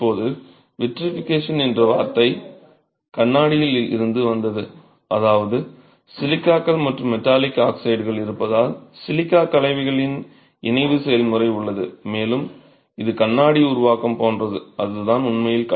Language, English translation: Tamil, Now the word vitrification comes from vitro which is glass which means because of the presence of silica's and the presence of metallic oxides there's a fusion process of the silica compounds and it's like formation of glass and that's really what gives strength to clay to the clay bricks